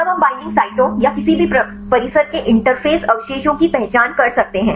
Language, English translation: Hindi, Then we can identify the binding sites or the interface residues of any complex